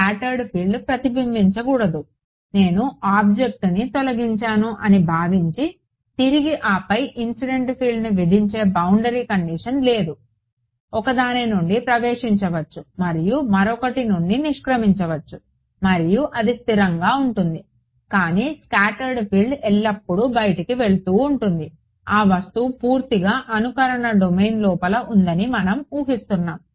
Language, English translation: Telugu, Scattered field should not reflect back supposing I delete the object then there is no boundary condition to impose incident field can enter from one and exit from the other and that is consisted, but scattered field is always going out we are assuming that the object is fully contained inside the simulation domain